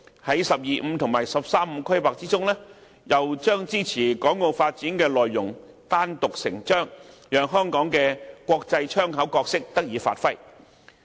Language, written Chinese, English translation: Cantonese, 在"十二五"和"十三五"規劃中，又把支持港澳發展的內容單獨成章，讓香港的"國際窗口"角色得以發揮。, In the 12 Five - Year Plan and 13 Five - Year Plan the Central Government even dedicated an independent chapter detailing its support for the development of Hong Kong and Macao giving full play to Hong Kongs role as the international window